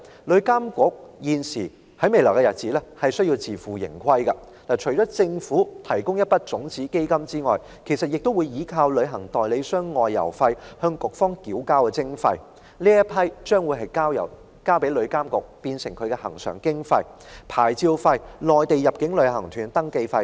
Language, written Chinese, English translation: Cantonese, 旅監局未來需要自負盈虧，其收入除了由政府提供的一筆種子基金外，也來自旅行代理商就外遊費向旅監局繳交的徵費，作為局方的恆常經費，還有牌照費和內地入境旅行團的登記費等。, In future TIA will have to operate on a self - financing basis . Apart from the seed money provided by the Government TIAs recurrent expenses will be financed by levies to TIA on outbound fares received by travel agents licence fees and registration fees on inbound tour groups from the Mainland